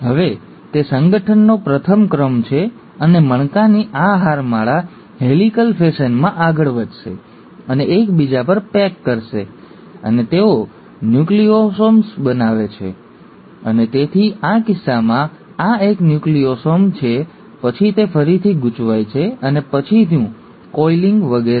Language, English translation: Gujarati, Now that's the first order of organization, and then this string of beads will further coil in a helical fashion and pack over each other and they will form nucleosomes, and so in this case this is one Nucleosome, then it coils again, and the next coiling and so on